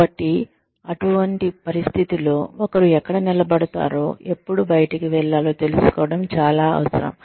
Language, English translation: Telugu, So, in such a situation, it is very essential to know, where one stands, and how much, and when one should move out